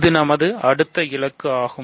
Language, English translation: Tamil, So, this is our next goal